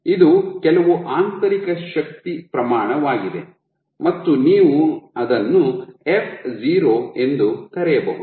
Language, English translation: Kannada, So, this is some intrinsic force scale you can call it f0